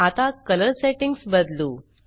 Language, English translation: Marathi, Let us now change the colour settings